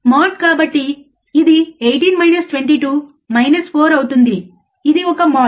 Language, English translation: Telugu, If we put this value again, 18 minus 22 would be 4 again it is a mode